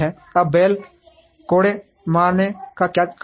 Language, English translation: Hindi, Now what causes the bull whip